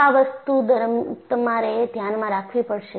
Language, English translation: Gujarati, So, this is what you will have to keep in mind